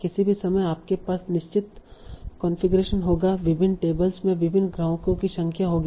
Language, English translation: Hindi, At any given a point of time, you will have certain configuration, different tables, will have different number of customers